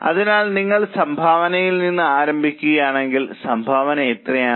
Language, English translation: Malayalam, So, if you start from contribution, how much is a contribution